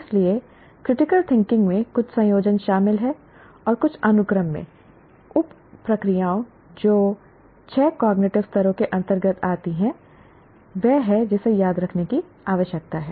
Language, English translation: Hindi, So critical thinking involves some combination and in some sequence the sub that come under the six cognitive levels